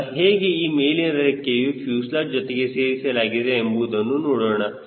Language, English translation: Kannada, now we will see how this wing is attached to the fuselage